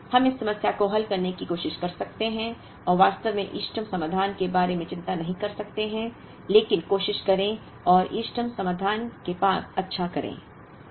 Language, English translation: Hindi, Can we try and solve this problem heuristically and not really worry about the optimal solution, but try and get a good near optimal solution